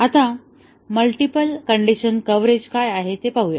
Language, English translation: Marathi, Now, let us see what is multiple condition decision coverage